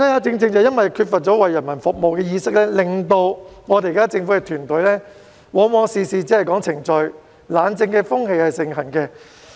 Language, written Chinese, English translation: Cantonese, 正因為缺乏了為人民服務的意識，令到政府團隊往往事事只說程序，懶政風氣盛行。, This lack of awareness to serve the people often results in government officers placing excessive importance on the procedure . Sloth administration becomes common